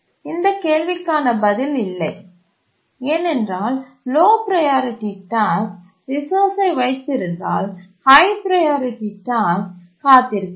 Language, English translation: Tamil, Because if a low priority task is holding the resource, then the high priority task has to wait